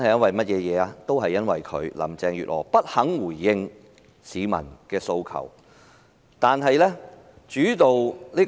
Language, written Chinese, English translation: Cantonese, 就是由於林鄭月娥不肯回應市民的訴求。, It is because Carrie LAM refused to respond to peoples demands